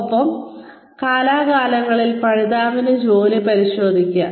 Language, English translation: Malayalam, And, check the work of the learner, from time to time